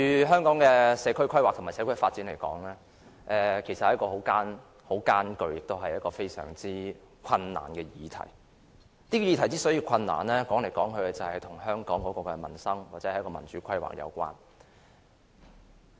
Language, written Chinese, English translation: Cantonese, 香港的社區規劃和社區發展都是很艱巨的議題，這個議題之所以艱巨，歸根究底是與香港的民生或民主規劃有關。, Community planning and community development in Hong Kong are arduous issues and such arduous issues are related to peoples livelihood or democratic planning in Hong Kong